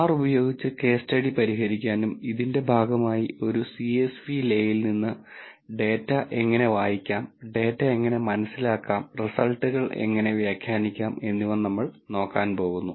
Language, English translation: Malayalam, We are also going to solve the case study using R and as a part of this we are going to look at how to read a data from a csv le, how to understand the data and how to interpret the results